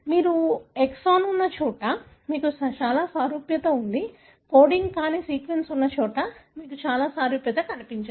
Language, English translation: Telugu, Wherever you have exon, you have very high similarity, wherever there are non coding sequence, you do not see much of a similarity